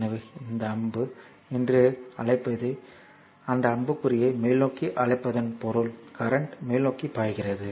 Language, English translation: Tamil, So, this arrow this is your what you call that arrow upward means the current is leaving upward I mean current is moving flowing upward